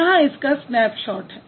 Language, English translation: Hindi, So here is a snapshot of that